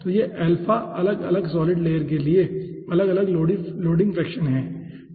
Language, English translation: Hindi, so this alphas are different loading fractions for different solid layers